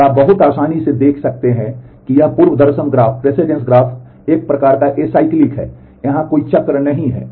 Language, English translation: Hindi, And you can very easily see that this precedence graph is acyclic there is no cycle here